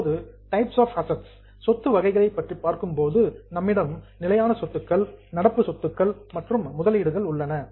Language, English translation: Tamil, Now the types of assets, we have got fixed assets, current assets and investments